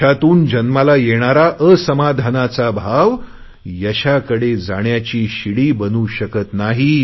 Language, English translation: Marathi, The dissatisfaction arising out of success never becomes a ladder to success; it guarantees failure